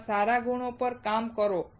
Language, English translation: Gujarati, Work on your good qualities